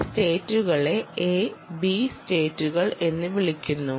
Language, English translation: Malayalam, these states are called a and b sates